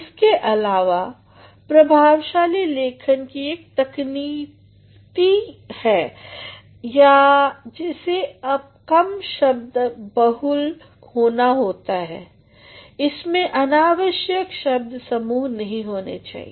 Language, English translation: Hindi, Moreover, one of the technicalities of effective writing is that it has to be less verbose, it should not be too wordy